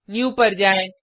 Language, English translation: Hindi, Go to New